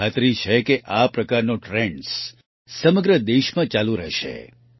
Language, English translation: Gujarati, I am sure that such trends will continue throughout the country